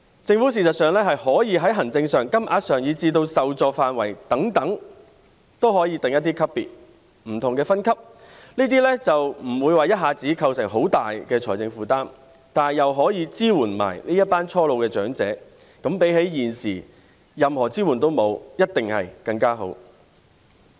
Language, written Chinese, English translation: Cantonese, 政府事實上是可以在行政、金額，以至受助範圍等方面，訂定一些級別或不同分級，這樣就不會一下子構成很大的財政負擔，但又可以支援這群初老長者，比起現時任何支援也沒有，一定是更好。, In fact it is possible for the Government to prescribe some grades or classes in terms of administration the amounts of money and even the coverage . In this way no sudden heavy financial burden will be created yet this group of young elderly persons can also be supported so this will definitely be better than the present situation of providing no support whatsoever